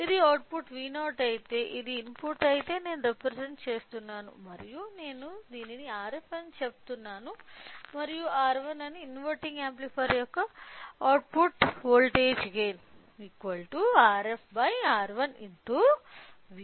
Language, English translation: Telugu, So, if this is input if this is output V naught I am representing and if I say this as R f and this is R 1 the gain the output voltage of the inverting amplifier is minus R f by R 1 into V in right